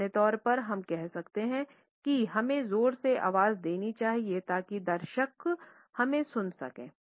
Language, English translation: Hindi, In general, we can say that we should be loud enough so that the audience can hear us